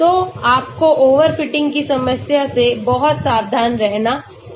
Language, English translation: Hindi, So you have to be very careful about overfitting problem